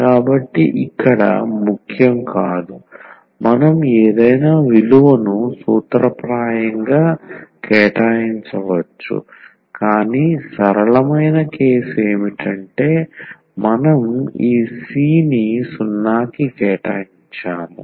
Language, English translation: Telugu, So, this is not important here we can assign any value in principle, but the simplest case would be that we assign this C to 0